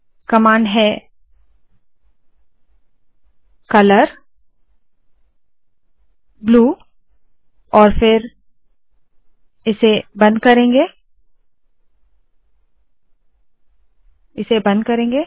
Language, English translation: Hindi, The commands is – color, blue and then ill close this